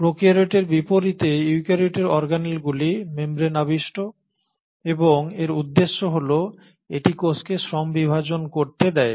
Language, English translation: Bengali, So the eukaryotes unlike the prokaryotes have membrane bound organelles, and the purpose is this allows the cell to have a division of labour